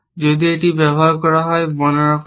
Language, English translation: Bengali, If it has been describe is use